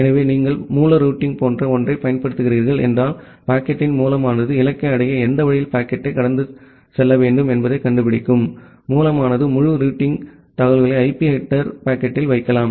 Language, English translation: Tamil, So, if you are applying something like source routing, where the source of the packet it will find out that in which route the packet need to be traversed to reach at the destination, the source can put the entire routing information in the IP header packet